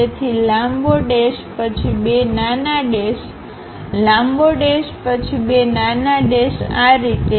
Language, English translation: Gujarati, So, long dash followed by two small dashes, long dash followed by two dashes and so on